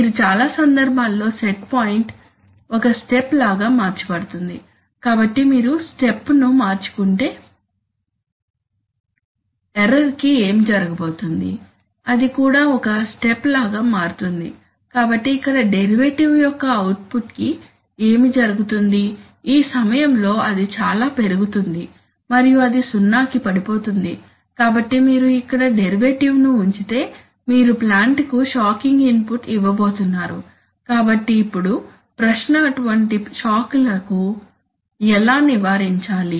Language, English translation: Telugu, When you, in many cases the set point is changed like a step, so if you change the step what is going to happen to the error, it is also going to change like a step, so then what will happen to the derivative output here, it is going to be at this time is going to rise very much and then it is going to fall to zero, so you are going to give a shocking input to the plant if you put the derivative here, so now the question is that how can I avoid such shocks